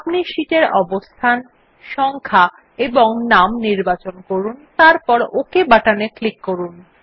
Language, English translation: Bengali, You can choose the position, number of sheets and the name and then click on the OK button